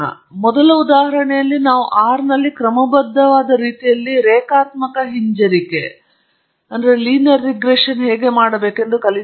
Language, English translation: Kannada, In the first example, we have learnt, essentially, how to perform linear regression in a systematic manner in R